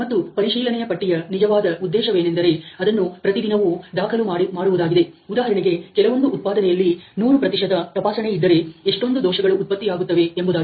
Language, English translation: Kannada, And what the purpose for check sheet is really to record that on daily basis for example, if there is some production how many of these defects are getting generated, if it is 100 percent inspection